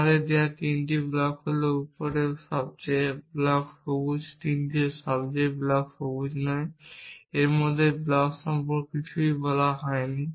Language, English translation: Bengali, Given to us is three blocks the top most block is green, the bottom most block is not green nothing is said about the block in between